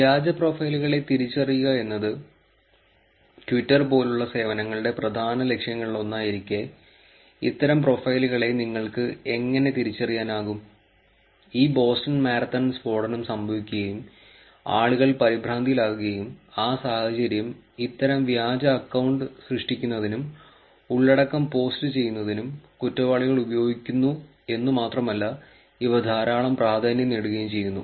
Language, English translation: Malayalam, How can you identify these profiles as fake profiles, which is one of main goals of services like twitter and it is not that easy also right given that this Boston Marathon blast has happened and people are under panic, the criminals are actually making use of this situation in terms of creating the account and posting content, which also, which are rumours and getting a lot of traction with it also